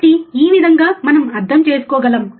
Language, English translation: Telugu, So, this is how we can understand